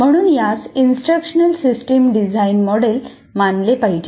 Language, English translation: Marathi, So it should be treated as we said, instructional system design model